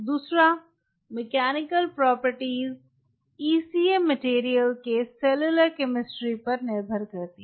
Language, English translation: Hindi, second, the mechanical property is the function of cellular chemistry, of the ecm material